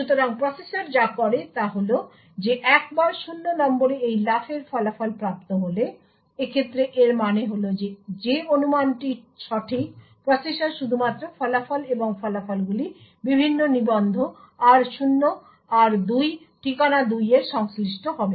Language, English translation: Bengali, So what the processor does is that once this the result of this jump on no 0 is obtained in this case it means that the speculation is correct, the processor would only commit the results and the results corresponding to the various registers r0, r2 address 2 and r4 would be actually committed